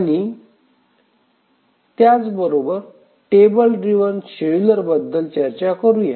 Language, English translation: Marathi, And now let's look at the table driven scheduler